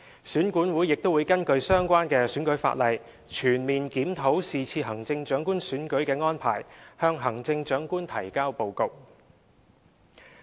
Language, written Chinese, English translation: Cantonese, 選管會亦會根據相關選舉法例，全面檢討是次行政長官選舉的安排，向行政長官提交報告。, In compliance with the relevant electoral legislation REO will also conduct a comprehensive review of this Chief Executive Election before submitting a report to the Chief Executive